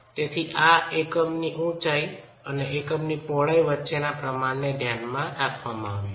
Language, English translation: Gujarati, So this has been arrived at considering a proportion between the unit height and the unit width